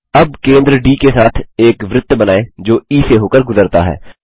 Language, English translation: Hindi, Lets now construct a circle with centre as D and which passes through E